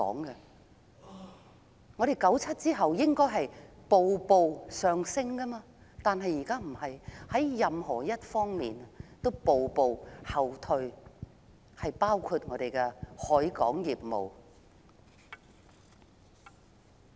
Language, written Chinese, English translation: Cantonese, 1997年後，香港理應步步上升，但現在卻非如此，香港在任何一方面都步步後退，包括我們的海運業務。, After 1997 Hong Kong was supposed to improve progressively; yet Hong Kong is now regressing in every aspect including our maritime industry